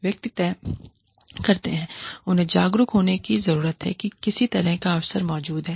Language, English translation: Hindi, The individuals decide, they need to be aware, that some kind of an opportunity, exists